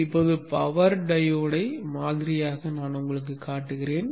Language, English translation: Tamil, Now let me model the power diode